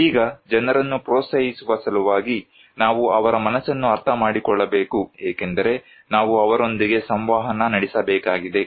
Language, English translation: Kannada, Now, this process in order to encourage people, we need to understand their mind because we have to communicate with them